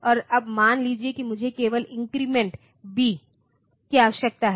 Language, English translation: Hindi, And now suppose I just need to increment B